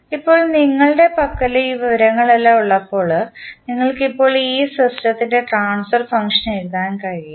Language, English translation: Malayalam, Now, when you are having all those information in hand, you can now write the transfer function of this system